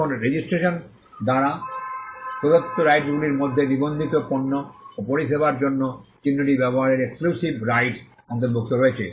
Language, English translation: Bengali, Now the rights conferred by registration include exclusive right to use the mark for registered goods and services